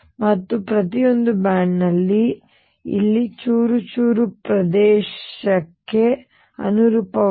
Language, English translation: Kannada, And each of this band corresponds to the shredded region here